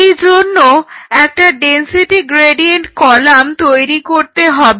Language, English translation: Bengali, So, what is the density gradient column